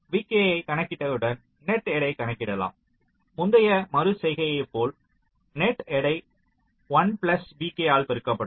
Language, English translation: Tamil, dont dont use this plus one and once you calculate v k you can calculate the net weight as the previous iteration net weight multiplied by one plus v k